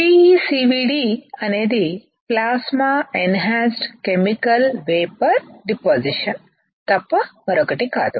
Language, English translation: Telugu, PECVD is nothing but Plasma Enhanced Chemical Vapor Deposition